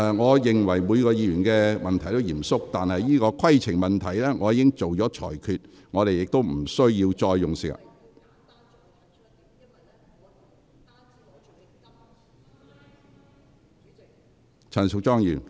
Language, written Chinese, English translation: Cantonese, 我認為每位議員的問題都是嚴肅的，但我已就相關規程問題作出裁決，不應再花時間......, I consider that each question raised by each Member is solemn but as I have made my ruling over a point of order we should not spend time on